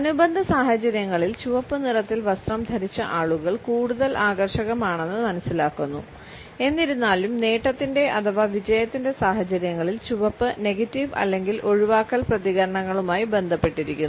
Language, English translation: Malayalam, Researchers have also found that in affiliative situations, people who are attired in red color are perceived to be more attractive, however in achievement situations red is associated with negative or avoidant responses